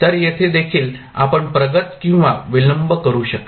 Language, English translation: Marathi, So, here also you can advance or delay